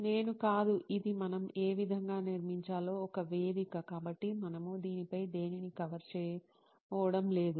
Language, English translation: Telugu, I am not, this is a platform on which way we build, so we are not going to cover anything on this